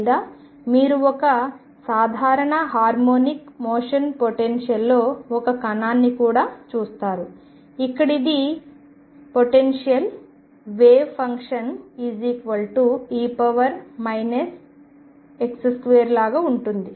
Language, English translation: Telugu, Or you also see a particle in a simple harmonic motion potential, where if this is the potential wave function is like e raise to minus x square